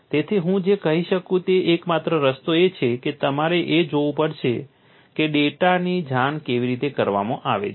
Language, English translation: Gujarati, So, the only way what I can say is, you have to look at how the data is reported